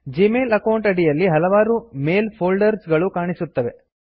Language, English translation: Kannada, Under this Gmail account, various mail folders are displayed